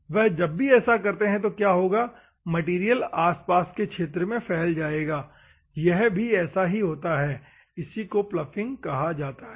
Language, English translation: Hindi, So, whenever they do what will happen, the material will spread into the adjacent region that is what happens here, that is called as ploughing